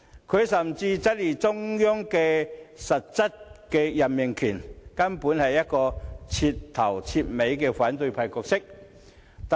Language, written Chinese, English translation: Cantonese, 他甚至質疑中央的實質任命權，可說是徹頭徹尾的反對派角色。, He has even cast doubt on the Central Authorities substantive power of appointment and this is totally reflective of the opposition role he plays